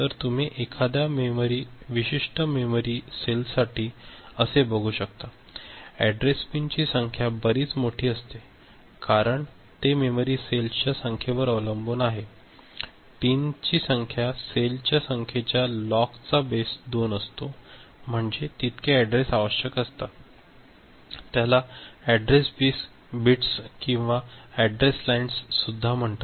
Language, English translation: Marathi, So, you can expect that for a particular memory cell; the number of address pins will be quite large, because it is what about the number of memory cell; log of that to the base 2 is the number of address pins address bits, address lines that would be required